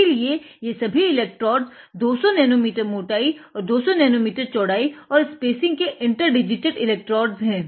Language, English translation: Hindi, So, these are all 200 nano meter thickness and 200 nano meter width and spacing interdigitated electrodes